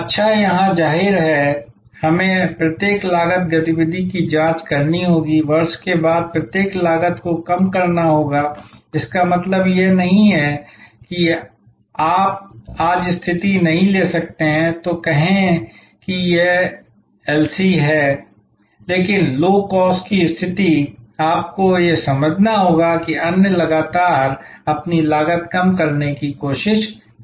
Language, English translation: Hindi, So, here; obviously, we have to scrutinize each cost activity, manage each cost lower year after year; that means, it is not you cannot take a position today then say this is LC, but a Low Cost position, you have to understand that others are constantly trying to lower their cost